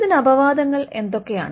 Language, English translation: Malayalam, What are the exceptions